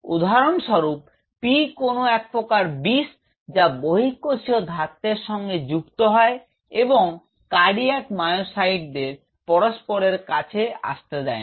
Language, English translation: Bengali, And say for example; P is some form of a Toxin which binds to extra cellular matrix and prevent the cardiac myocyte to come close to each other